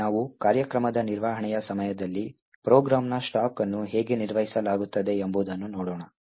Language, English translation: Kannada, So now we will see how the stack of a program is managed during the execution of the program